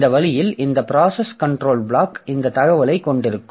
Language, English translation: Tamil, So, so this way this process control block will have this information